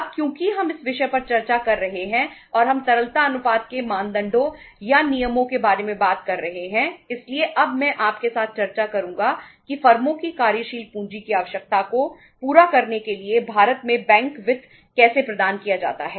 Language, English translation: Hindi, Now because we are discussing this topic and we are talking about the norms or the rules of thumb of the liquidity ratios so now I will uh discuss with you that how the bank finance is provided in India to fulfill the working capital requirement of the firms